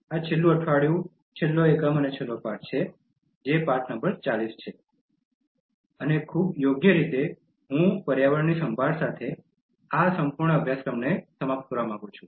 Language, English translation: Gujarati, This is the last week, last unit and the last lesson, that is lesson number 40, and very appropriately I want to conclude this entire course with Care for Environment